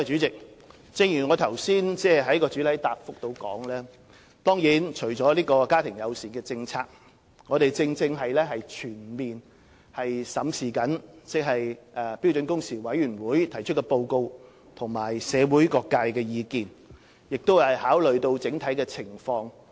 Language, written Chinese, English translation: Cantonese, 正如我在主體答覆中所說，除了家庭友善僱傭政策之外，我們亦正在全面審視標時委員會提出的報告及社會各界的意見，並考慮整體情況。, As I have pointed out in the main reply apart from family - friendly employment policies we are now taking full account of the report of SWHC and the views of various sectors of the community and are considering the overall situation